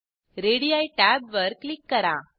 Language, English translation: Marathi, Click on Radii tab